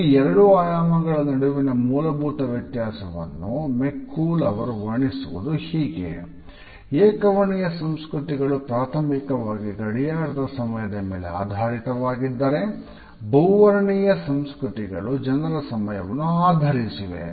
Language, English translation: Kannada, The basic difference between these two orientations has been beautifully summed up by McCool when he says that the monochronic cultures are based primarily on clock time whereas, polychronic cultures are typically based on people time